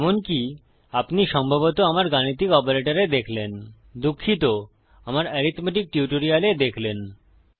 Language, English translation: Bengali, As you have probably seen in my mathematical operator sorry in my arithmetic operator tutorial